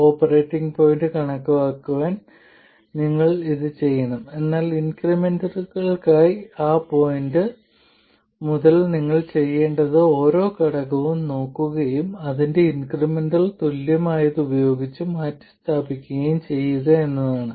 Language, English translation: Malayalam, You have to do it for calculating the operating point, but that point onwards for increments, all you have to do is look at each element and replace it by its incremental equivalent